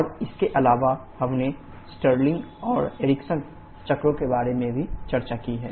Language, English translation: Hindi, And also, in conjunction to that we have discussed about the Stirling and Ericsson cycles also